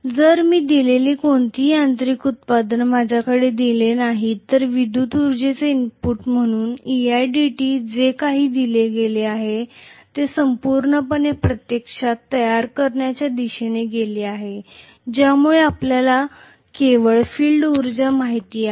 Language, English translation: Marathi, If I do not see any mechanical output whatever I have given as the input of electrical energy which was e i dt that entire thing has gone towards actually creating you know only the field energy